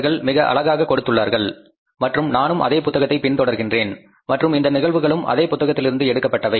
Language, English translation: Tamil, They have given very nicely and I have also followed the same book and these cases are also from the same book